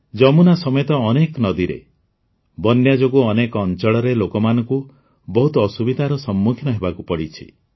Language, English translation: Odia, Owing to flooding in many rivers including the Yamuna, people in many areas have had to suffer